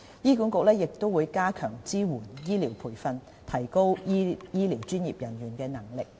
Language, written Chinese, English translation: Cantonese, 醫管局亦會加強支援醫療培訓，提高醫療專業人員的能力。, HA will also strengthen its support for medical training to improve the ability of medical professionals